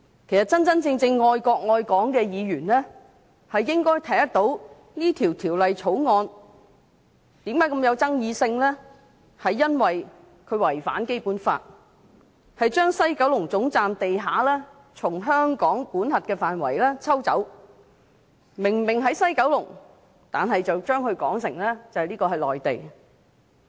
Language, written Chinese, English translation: Cantonese, 其實，真正愛國愛港的議員應該看得到《條例草案》為何如此具爭議性，這是因為它違反《基本法》，將西九龍總站地下從香港的管轄範圍抽走，明明位處西九龍，卻把它說成是內地。, In fact a Member who genuinely loves the country and Hong Kong should be able to see why the Bill is so controversial . This is because it contravenes the Basic Law by taking the area of the West Kowloon terminus away from the Hong Kong jurisdiction . This site is conspicuously located in West Kowloon but it is said to be an area of the Mainland